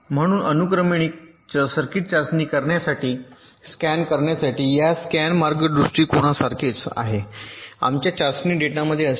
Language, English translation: Marathi, so this is exactly similar to this scan path approach for sequential circuit testing to scan in our test data like this